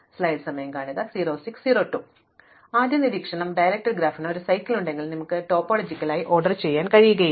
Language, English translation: Malayalam, So, the first observation is that if the directed graph had a cycle, then you will not be able to topologically order it